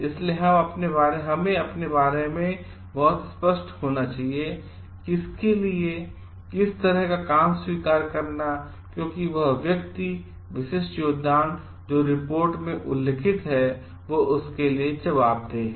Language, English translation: Hindi, So, we should be very very specific about we are acknowledging whom for what kind of work because, that person is accountable for that specific contribution that is mentioned in the report